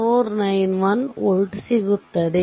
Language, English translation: Kannada, 491 volt right